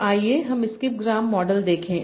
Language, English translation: Hindi, So let us look at the Skibgram model